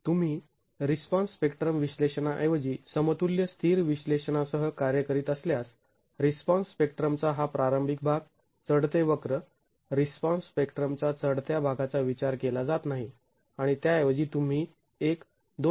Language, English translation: Marathi, If you are working with equal in static analysis, equal in static analysis instead of the response spectrum analysis, this initial part of the response spectrum, the ascending curve, the ascending portion of the response spectrum is not considered and instead you start with a value of 2